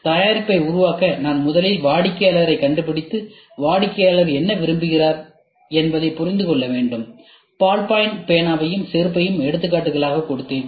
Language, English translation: Tamil, I have to first find the customer and then understand What customer wants; I gave you an example of ballpoint pen, I gave you an example of a shoe